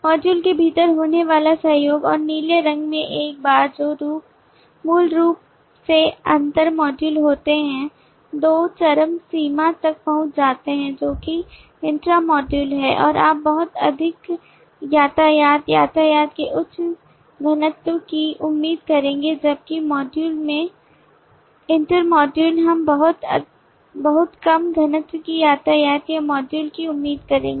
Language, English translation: Hindi, the collaboration that happens within the module and the once in the blue which are basically inter module reach two extremes that is intra module you would expect lot more of traffic, high density of traffic whereas inter module across the modules we will expect very low density of module or traffic